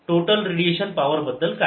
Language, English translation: Marathi, how about the total power radiated